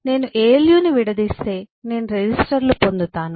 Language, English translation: Telugu, If I break down a alu, I will get resistors and so on